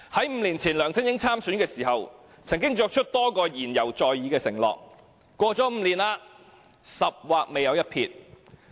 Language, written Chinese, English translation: Cantonese, 五年前梁振英參選的時候，曾經作出的多個承諾言猶在耳，可是 ，5 年過去了，"十劃未有一撇"。, The promises LEUNG Chun - ying made in the election five years ago still ring in our ears . However five years have passed and nothing has hardly been done